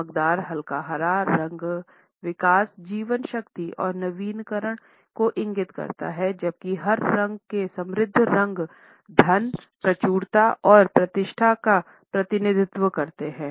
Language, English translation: Hindi, The bright yet light green color indicates growth, vitality and renewal whereas, the richer shades of green which are darker in tone represent wealth, abundance and prestige